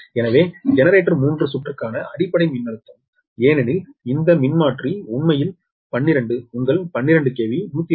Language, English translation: Tamil, therefore baseline voltage for generator three circuit is that it is for this generator because this transformer actually twelve ah, your twelve k v by one twenty k v